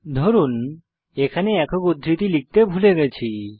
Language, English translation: Bengali, Suppose here I will miss the single quotes